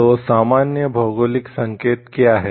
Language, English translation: Hindi, So, what is a generic geographical indication